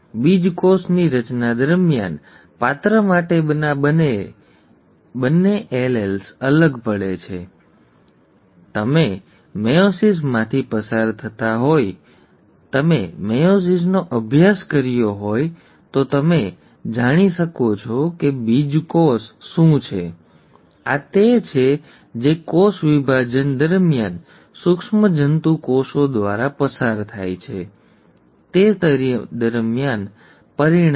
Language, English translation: Gujarati, The two alleles for a character separate out or segregate during gamete formation, right, you would have gone through meiosis, you would have studied meiosis, so you know what a gamete is; this is what results during, in the cell division, that is gone through by the germ cells